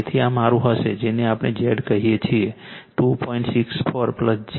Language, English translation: Gujarati, So, this will be my your what we call Z 2